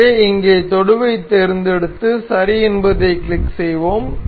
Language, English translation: Tamil, So, we will select tangent over here and click ok